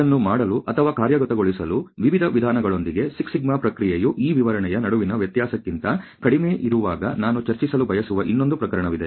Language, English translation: Kannada, So, with the various ways to do or executes this, there is another case which I would like to discuss which talks about when the process 6σ is actually less than the difference between these specification